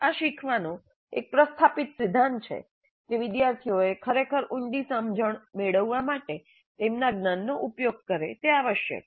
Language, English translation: Gujarati, So this is a well established principle of learning that the students must apply their knowledge in order to really get a deep understanding